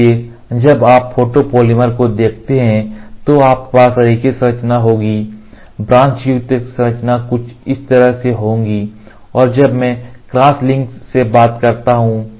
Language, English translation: Hindi, So, when you look at a photopolymer you will have linear structure like this branched structure will be something like this and when I talk about cross link